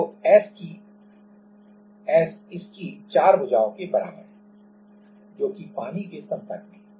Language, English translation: Hindi, So, S equals to it has 4 sides it is in contact with the water right